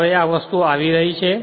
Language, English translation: Gujarati, Now how these things are coming